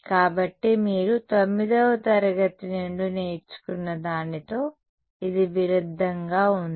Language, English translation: Telugu, So, does that contrast with something that you have learnt from like class 9